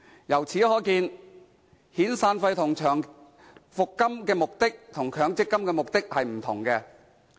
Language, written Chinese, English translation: Cantonese, 由此可見，遣散費及長期服務金與強積金的目的各有不同。, From this we can see that the severance and long service payments and MPF actually serve difference purposes